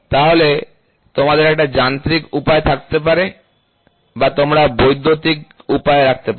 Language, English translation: Bengali, So, you can have a mechanical way or you can have an electrical way